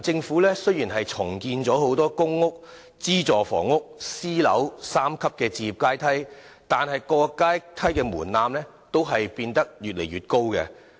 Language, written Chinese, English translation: Cantonese, 近年，雖然政府重建"公屋—資助房屋—私人樓宇"的三層置業階梯，但各級的門檻都變得越來越高。, Though the Government has reinstated the three - tier housing ladder of PRH―subsidized housing―private housing in recent years the thresholds of the respective tiers have become higher and higher